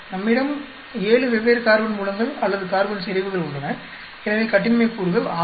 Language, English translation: Tamil, We have 7 different carbon sources or a carbon concentrations, so, degrees of freedom is 6